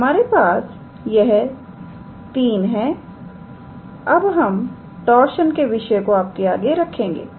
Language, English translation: Hindi, So, we have these 3, now we will introduce the concept of torsion